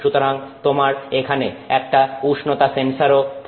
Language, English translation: Bengali, So, you have to have a temperature sensor there